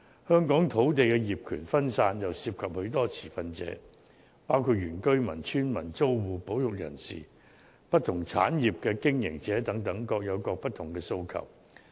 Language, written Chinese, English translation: Cantonese, 香港土地業權分散，又涉及許多持份者，包括原居民、村民、租戶、保育人士及不同產業的經營者等，各有不同的訴求。, Lands in Hong Kong have fragmented ownerships involving a large number of stakeholders including indigenous inhabitants villagers tenants conservationists operators in various industries etc and they have different aspirations